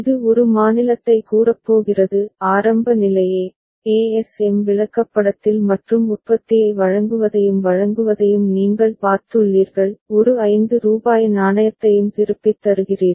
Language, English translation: Tamil, It is going to state a; initial state a, you have seen that in the ASM chart and delivering the product and delivering also returning a rupees 5 coin